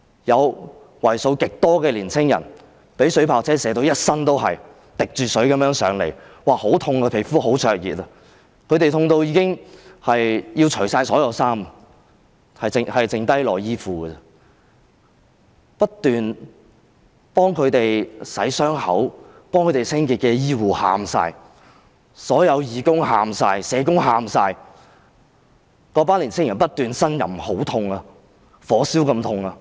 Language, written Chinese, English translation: Cantonese, 有為數極多的年青人被水炮車射中，全身濕透地來到平台，說皮膚十分灼熱、很痛，他們痛得要脫下所有衣物，只剩下內衣褲，不斷替他們清洗傷口及清潔的醫護全部都哭了，所有義工及社工也哭了，那群青年人不斷呻吟，說很痛，是像火燒般的痛。, They were in such great pain that they wanted to take off all of their clothes leaving only their underwear on . The medics who were attending to their wounds and cleaning them all cried and all the volunteers and social workers also cried . That group of young people kept moaning saying they are in great pain as though being burnt